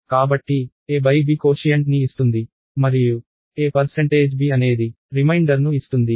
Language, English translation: Telugu, So, a by b finds out the quotient and a percentage b finds out the reminder